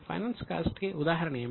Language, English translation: Telugu, What will be an example of finance cost